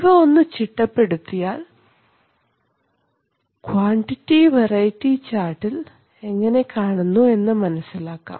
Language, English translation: Malayalam, And if you if you organize them then you will see that you will see how they look on the quantity variety chart